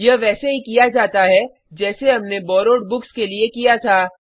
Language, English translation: Hindi, This is done in the same way as we did for Borrowed Books